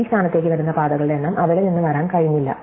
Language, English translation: Malayalam, So, the number of paths, which are coming to this point could not come from there